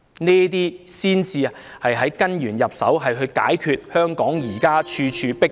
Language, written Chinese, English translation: Cantonese, 這才是從根源入手，解決香港現時處處"迫爆"的情況。, This is the very way to tackle at root the overcrowded situation across Hong Kong at present